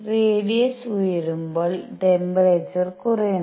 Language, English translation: Malayalam, As the radius goes up, the temperature comes down